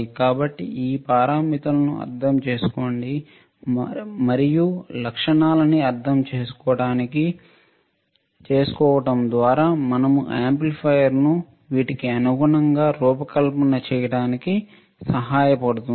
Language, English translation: Telugu, So, so, understanding this parameters and understanding this characteristic would help us to design the amplifier accordingly right